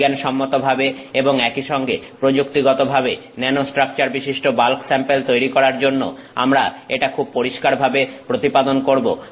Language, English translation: Bengali, We establish this very clearly there is a lot of value both scientifically as well as technologically to making a bulk sample, that has nanostructure